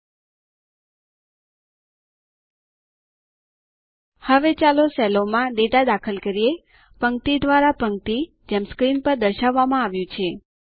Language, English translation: Gujarati, Now, let us input data into the cells, row by row, as shown on the screen